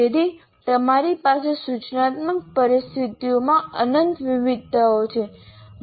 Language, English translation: Gujarati, So you have endless variations in the instructional situations